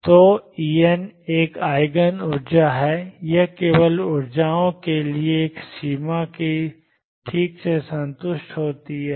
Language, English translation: Hindi, So, E n is an Eigen energy, it is only for these energies that the boundary conditions is satisfied properly